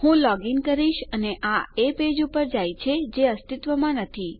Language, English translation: Gujarati, Ill log in and it goes to a page that doesnt exist